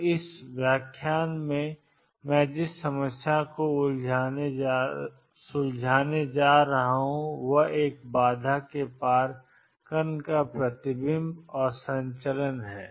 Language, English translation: Hindi, So, the problem I am going to tangle in this lecture is the reflection and transmission of particles across a barrier